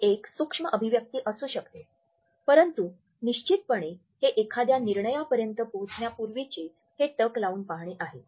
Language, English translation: Marathi, It may be a micro expression, but definitely this gaze is often there just before one is about to reach a decision